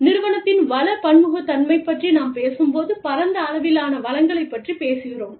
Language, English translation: Tamil, When we talk about, firm resource heterogeneity, we are talking about, a wide pool of resources